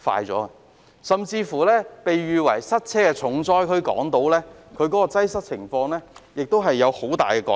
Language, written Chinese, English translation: Cantonese, 即使被稱為塞車重災區的港島區，擠塞的情況也有很大改善。, Traffic congestion has also improved considerably even on Hong Kong Island which is notorious for the problem